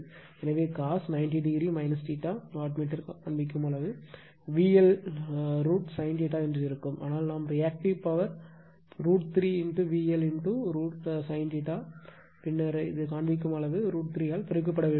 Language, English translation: Tamil, So, cos ninety degree minus theta , let me wattmeter , reading will be V L I L sin theta right , but our Reactive Power is root 3 V L I L sin theta ,then this reading has to be multiplied by root 3 to get the connect reading right